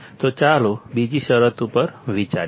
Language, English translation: Gujarati, So, let us consider another condition